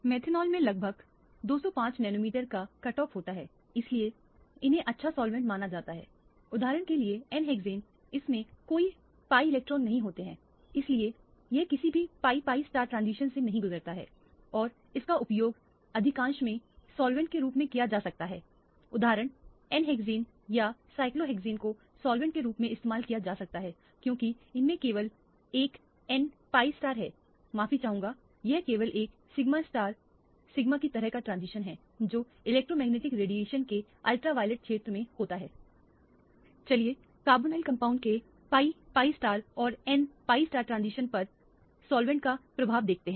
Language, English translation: Hindi, Methanol has a cut off of about 205 nanometers so these are supposed to be good solvent, n hexane for example, does not have any pi electrons so it does not undergo any pi pi star transition and that can be used as a solvent in most instances n hexane is or cyclohexane can be used as a solvent because it has only an n pi star at a sorry it has only a sigma to sigma star kind of a transition which occurs in the ultraviolet region of electromagnetic radiation